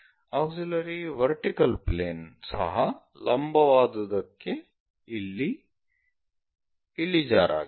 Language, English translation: Kannada, Auxiliary vertical plane is also inclined, but inclined to vertical thing